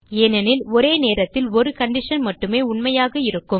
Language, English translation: Tamil, It is because only one condition can be true at a time